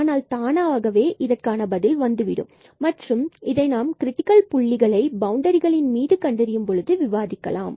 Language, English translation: Tamil, But, this will automatically come in the problem and we discuss when we find the critical points on the boundaries